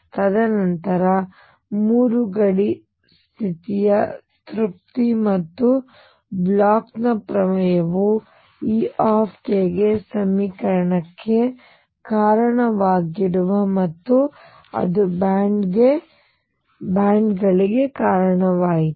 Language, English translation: Kannada, And then three, satisfaction of the boundary condition and Bloch’s theorem led to the equation for e k and that led to bands